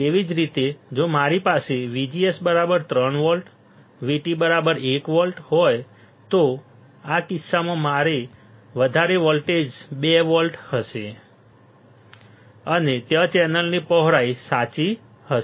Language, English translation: Gujarati, Similarly, if I have VGS equals to 3 volt right then an V T equals to one volt in this case my excess voltage will be 2 volts and there will be my width of the channel correct